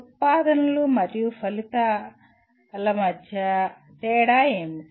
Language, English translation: Telugu, What is the difference between outputs and outcomes